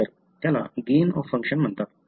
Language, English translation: Marathi, So, that is called a gain of function